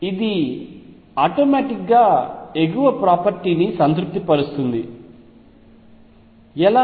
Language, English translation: Telugu, This automatically satisfies the upper property, how so